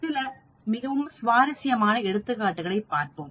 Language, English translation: Tamil, Let us look at another example, very interesting